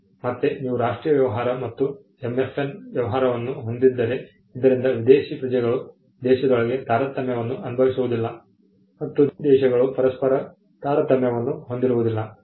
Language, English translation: Kannada, Again, you have the national treatment and the MFN treatment, so that foreign nationals are not discriminated within the country; and also foreign countries are not discriminated between each other